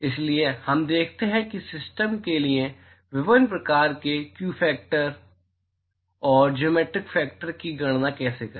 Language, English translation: Hindi, So, we look at how to calculate the view factor and geometric factor for various kinds for systems